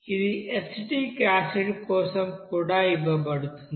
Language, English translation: Telugu, For acetic acid also it is given